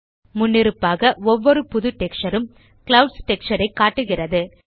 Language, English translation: Tamil, By default, every new texture displays the clouds texture